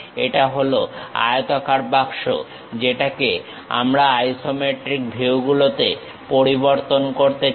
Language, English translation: Bengali, This is the rectangular box, what we would like to really change it into isometric views